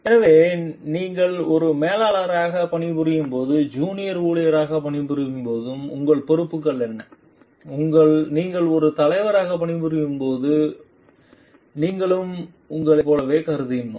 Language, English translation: Tamil, So, what are your responsibilities when you are working as a junior employee when you are working as a manager and when you are as working as leader also we have considered like whether you